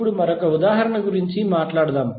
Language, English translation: Telugu, Now, let us talk about another example